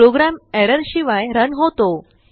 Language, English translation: Marathi, Program runs without errors